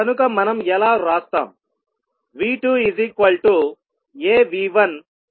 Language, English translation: Telugu, So, how we will write